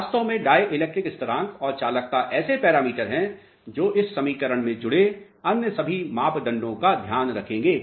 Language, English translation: Hindi, Truly speaking dielectric constant and conductivity are the parameters which will take care of all other parameters associated in this equation